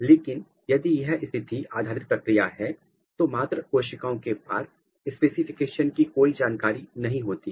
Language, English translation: Hindi, But, if this is position based mechanism then the parent cells they do not have any information for specification